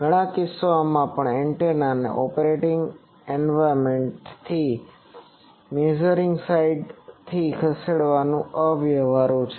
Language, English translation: Gujarati, Also in many cases it is impractical to move the antenna from the operating environment to the measuring side